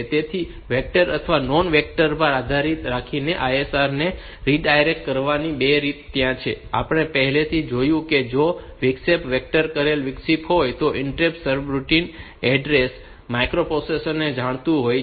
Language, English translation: Gujarati, So, there are two ways for redirecting this ISR to the ISR or depending upon the vectored or non vectored, that we have already seen that if an interrupt is a vectored interrupt, then the interrupt service routine address is known to the microprocessor